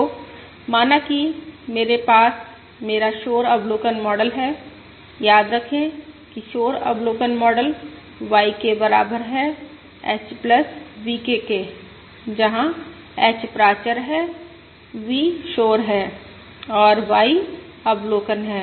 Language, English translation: Hindi, So let us say, I have my noisy observation model, remember the noisy observation model is: YK equals H plus VK, where H is the parameters, V is the noise and Y is the observation